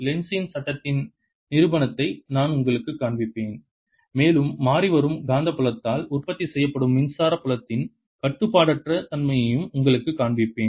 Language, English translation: Tamil, i'll show you demonstration of lenz's law and i'll also show you the non conservative nature of electric field produced by a changing magnetic field